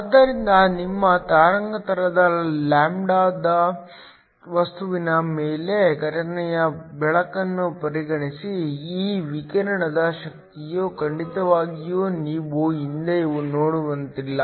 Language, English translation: Kannada, So, consider incident light on your material of wavelength lambda, the energy of this radiation of course you have seen before is nothing but hc